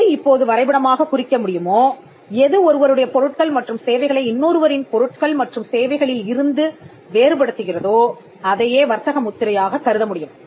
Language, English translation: Tamil, Now so, what can be graphically represented, what can distinguish goods and services from one person to another this regarded as a trademark